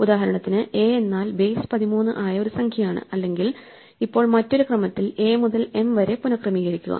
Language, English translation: Malayalam, Here for instance, is a number in a base thirty or now alternatively a rearrangement of a to m in some order